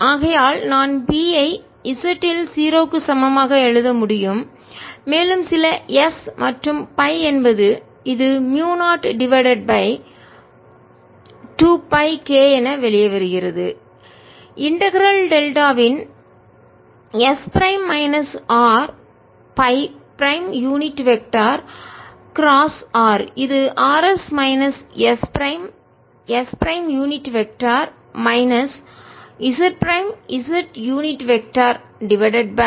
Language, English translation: Tamil, s r prime vector is going to be s prime in the s prime direction plus z prime in the z direction and therefore i can write b at z equal to zero and some s and phi is equal to mu zero over two pi k comes out integral delta s prime minus r phi prime unit vector cross r, which is r s minus s prime s prime unit vector minus z prime z unit vector